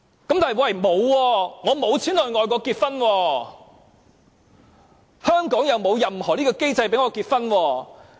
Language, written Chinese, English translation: Cantonese, 可是，有些人沒有錢到外國結婚，而香港又沒有任何機制讓他們結婚。, However some people do not have the money to get married overseas and there is not any mechanism which allows them to marry in Hong Kong